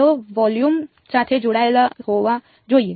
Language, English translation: Gujarati, They have to belong to volume